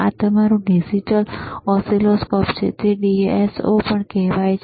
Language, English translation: Gujarati, This is your digital oscilloscope, right it is also called DSO,